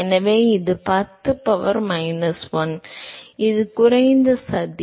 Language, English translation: Tamil, So, this is 10 power minus 1, it is a low plot